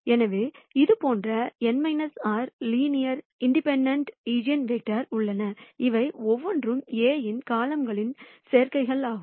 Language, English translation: Tamil, So, there are n minus r linear linearly independent eigenvectors like this and each of this are combinations of columns of A